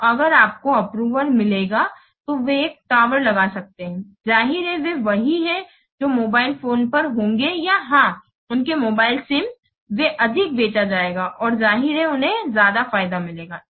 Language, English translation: Hindi, So if you will get, if you can, they can put a tower, then obviously they are what mobiles will be, or the, yes, their mobile assumes they will be sold more and obviously they will get more benefit